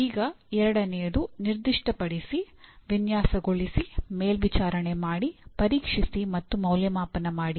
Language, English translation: Kannada, Now second one, specify, design, supervise, test, and evaluate